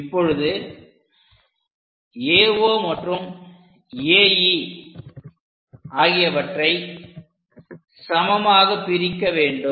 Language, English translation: Tamil, Now, divide AO and AE